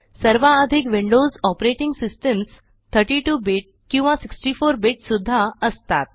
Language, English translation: Marathi, Most Windows Operating systems are either 32 bit or 64 bit